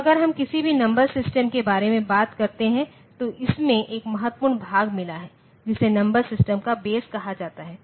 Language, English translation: Hindi, So, if we talk about any numbered system, it has got one important part in it, which is called the base of the number system